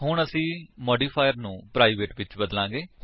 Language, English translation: Punjabi, We will now change the modifier to private